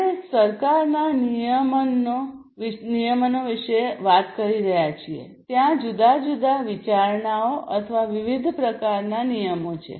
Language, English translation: Gujarati, So, you know we have if we are talking about government regulations there are different considerations or the different types of regulations